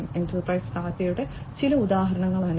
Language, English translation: Malayalam, These are some of the examples of enterprise data